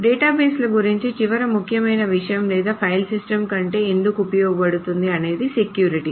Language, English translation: Telugu, Probably the last important thing about databases or why it is used full over file systems is that of security